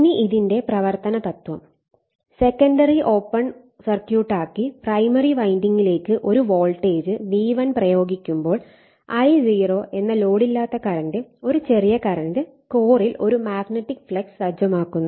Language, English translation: Malayalam, Now, principles of a principle of operation, when the secondary is an open circuit and an alternating voltage V1 is applied I told you to the primary winding, a small current called no load that is I0 flows right, which sets up a magnetic flux in the core